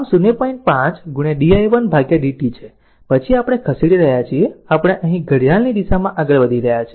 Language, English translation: Gujarati, 5 di 1 upon dt then we are moving we are moving here clockwise